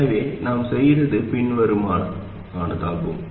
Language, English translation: Tamil, So what we did was the following